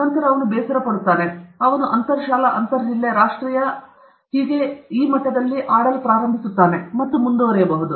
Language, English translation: Kannada, Then, he will get bored; he will start playing inter school, intra school, inter district, national and this thing and go on